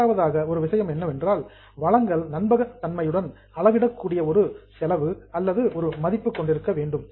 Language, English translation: Tamil, The second point is resources must have a cost or value that can be measured reliably